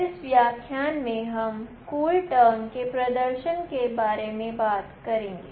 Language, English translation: Hindi, In this lecture, I will talk about CoolTerm and of course, the demonstration